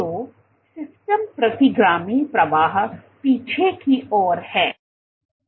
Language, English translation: Hindi, So, the system retrograde flow, retrograde or backward